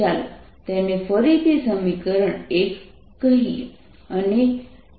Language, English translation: Gujarati, let's call it again equation one